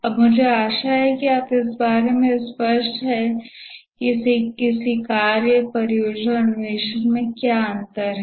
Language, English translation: Hindi, Now I hope that we are clear about what is the difference between a task, a project and an exploration